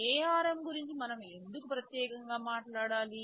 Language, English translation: Telugu, WSo, why do you we have to talk specifically about ARM